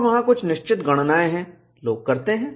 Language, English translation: Hindi, And there are certain calculations, people do